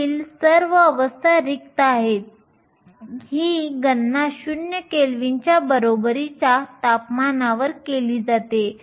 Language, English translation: Marathi, All the states above it are empty these calculations are done at temperature equal to 0 kelvin